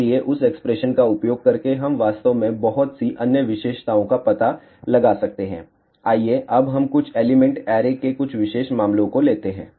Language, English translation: Hindi, So, by using that expression, we can actually find out lot of other characteristics, let us now take some special cases of few element array